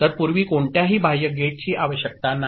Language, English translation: Marathi, So, earlier no external gate is required